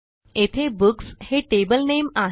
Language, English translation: Marathi, Here Books is the table name